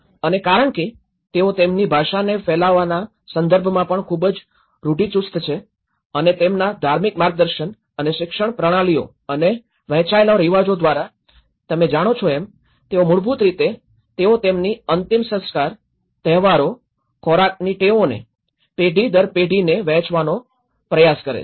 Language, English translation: Gujarati, And because they are also very conservative in terms of spreading their language and through their religious guidance and the education systems and the shared customs you know they are basically, you know how their funerals, how the festivals, how the food habits, they try to share that through generation to generation